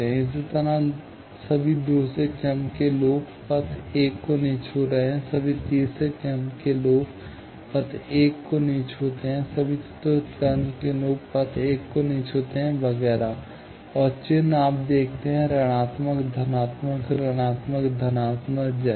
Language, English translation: Hindi, Similarly, all second order loops not touching path 1, all third order loops not touching path 1, all fourth order loops not touching path 1, etcetera, and the sign, you see, minus, plus, minus, plus, like that